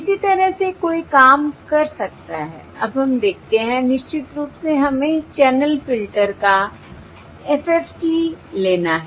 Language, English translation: Hindi, for now let us look at, of course we have to take the FFT of the channel filter